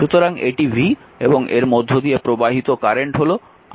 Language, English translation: Bengali, So, it is v and current flowing through this is i, right